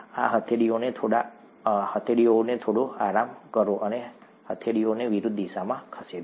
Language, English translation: Gujarati, Slightly rest these palms and move the palms in opposite directions